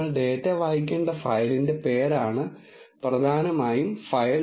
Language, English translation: Malayalam, File is essentially the name of the file from which you have to read the data